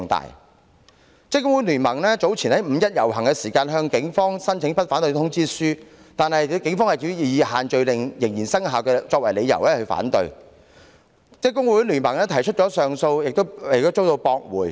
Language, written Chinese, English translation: Cantonese, 香港職工會聯盟早前就五一遊行向警方申請不反對通知書，但警方以限聚令仍然生效為由反對，職工盟雖提出上訴但依然遭駁回。, The Hong Kong Confederation of Trade Unions CTU had earlier applied to the Police for the issuance of a Letter of No Objection to the Labour Day procession on 1 May but the application was rejected on the ground that the social gathering restrictions were still in force . An appeal was lodged by CTU but it was dismissed